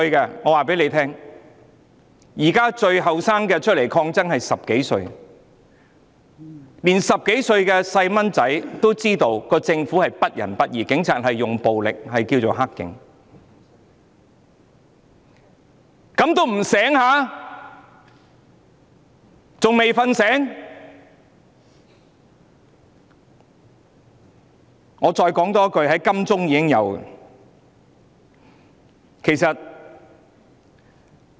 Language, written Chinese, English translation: Cantonese, 現時最年輕的上街抗爭者只有10多歲，連10多歲的小孩也知道政府不仁不義，使用暴力的警察是"黑警"，怎麼他們還不甦醒過來？, At present the youngest street protester is only 10 years old or so . Even a kid of only 10 years old or so knows that the Government is malevolent and uncaring and police officers using violence are dirty cops . How come those people still have not wakened up?